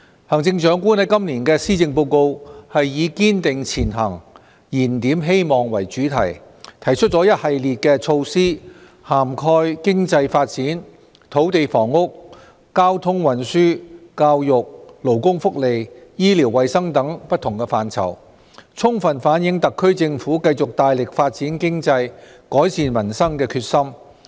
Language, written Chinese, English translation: Cantonese, 行政長官在今年的施政報告以"堅定前行燃點希望"為主題，提出了一系列的措施，涵蓋經濟發展、土地房屋、交通運輸、教育、勞工福利、醫療衞生等不同範疇，充分反映特區政府繼續大力發展經濟，改善民生的決心。, Under the theme of Striving Ahead Rekindling Hope the Chief Executive has proposed in this years Policy Address a series of initiatives covering different areas such as economic development land and housing transport education labour welfare medical and health services etc . All fully reflecting the determination of the Special Administrative Region Government to continue to strive for economic development and improve the peoples livelihood